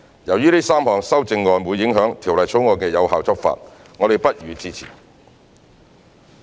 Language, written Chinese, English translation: Cantonese, 由於這3項修正案會影響《條例草案》的有效執法，我們不予支持。, Since the three amendments will affect the effective enforcement of the Bill we do not support the amendments